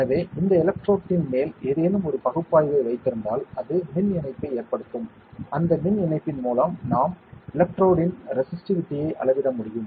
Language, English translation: Tamil, So, if something some material some analyte is kept on top of this electrode, it would cause an electrical connection that through that electrical connection we will be able to measure the resistivity of the electrode